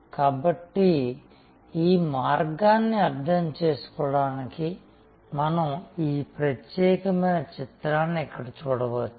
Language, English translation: Telugu, So, to understand this pathway, we can look at this particular picture here